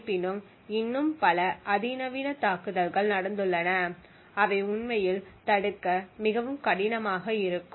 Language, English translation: Tamil, However there have been many more, more sophisticated attacks which are far more difficult to actually prevent